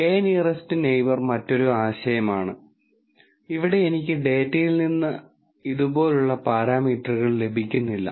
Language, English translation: Malayalam, k nearest neighbor is a different idea, where I do not get parameters like this out of the data